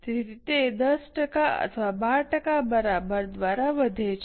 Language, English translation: Gujarati, So, it increases either by 10% or by 12%